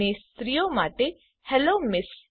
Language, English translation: Gujarati, for males and Hello Ms..